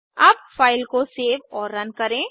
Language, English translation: Hindi, Save and run the file